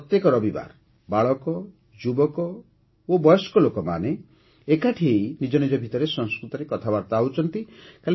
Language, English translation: Odia, Here, once a week, every Sunday, children, youth and elders talk to each other in Sanskrit